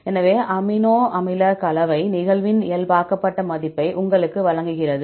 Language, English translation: Tamil, So, composition gives you the normalized value of amino acid occurrence